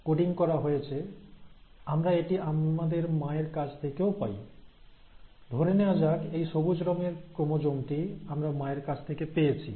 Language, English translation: Bengali, Now the same chromosome, not identical though, but a chromosome which is coding from similar features we'll also receive it from our mother, right, so let us say that this green coloured chromosome was a chromosome that we had received from our mother